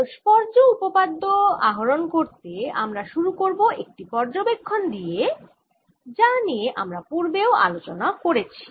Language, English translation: Bengali, to derive reciprocity theorem, we'll start with an observation and we have talked about in earlier lectures